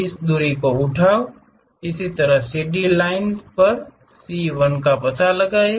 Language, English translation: Hindi, Pick that distance, similarly on CD line locate C 1